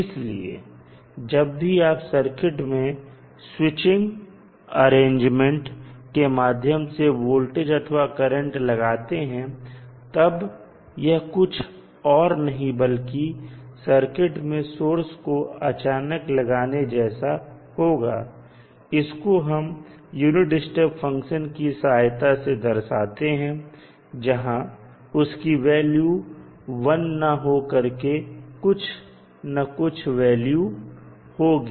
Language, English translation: Hindi, So, whenever you apply voltage or current to the circuit through some switching arrangement it is nothing but you suddenly apply the source to the circuit and it is represented with the help of the unit step function because the value of voltage will not be 1 it will be some value